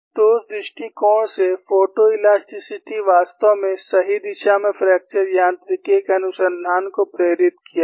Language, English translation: Hindi, So, from that point of view, photo elasticity has indeed propelled the research of fracture mechanics in the right direction